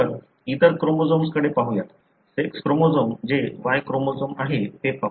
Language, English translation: Marathi, So, let’s look into the other chromosome, sex chromosome that is Y chromosome